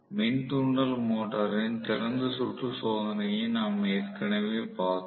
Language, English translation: Tamil, We had seen the open circuit test of the induction motor